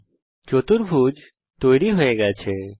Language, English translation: Bengali, Here a quadrilateral is drawn